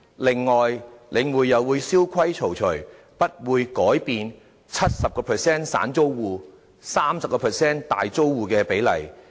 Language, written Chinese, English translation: Cantonese, 此外，領匯又會蕭規曹隨，不會改變 70% 散租戶、30% 大租戶的比例。, Moreover The Link REIT would follow the rules established by HA and not change the 70 % to 30 % ratio of individual tenants to major tenants